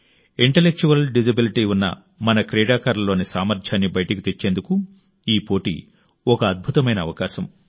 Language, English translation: Telugu, This competition is a wonderful opportunity for our athletes with intellectual disabilities, to display their capabilities